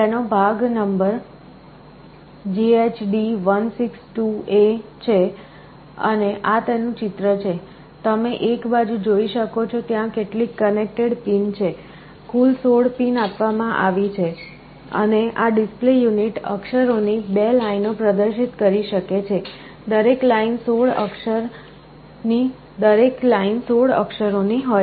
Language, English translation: Gujarati, The part number is JHD162A and this is the picture of it, you can see on one side there are some connector pins, a total of 16 pins are provided and this display unit can display 2 lines of characters, 16 characters each